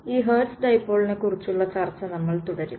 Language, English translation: Malayalam, So, we will continue our discussion of this Hertz Dipole